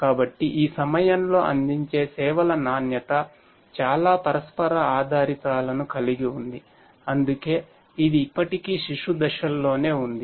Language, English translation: Telugu, So, quality of services offered at this point has lot of interdependencies that is why it is still in its that is why it is still in its infant stages